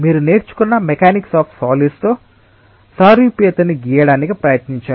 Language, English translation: Telugu, try to draw an analogy with the mechanics of the solids that you have learnt